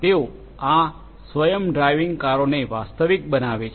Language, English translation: Gujarati, They make these the self driving cars a reality